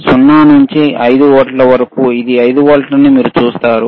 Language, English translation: Telugu, 0 to 5 volts, you see this is 5 volts only